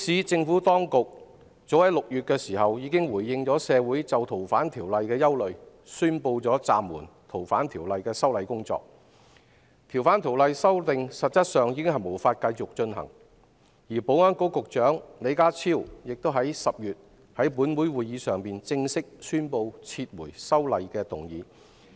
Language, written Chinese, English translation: Cantonese, 政府當局早在6月份，已回應社會的憂慮，宣布暫緩修例工作，修訂實際上已無法繼續進行；及至10月，保安局局長李家超更在立法會會議上，正式宣布撤回有關條例草案。, As early as June the HKSAR Government responded to the concerns of the community and announced that the legislative amendments were suspended . In fact the amendment exercise could no longer continue since then . In October the Secretary for Security Mr John LEE officially announced the withdrawal of the relevant bill in the Legislative Council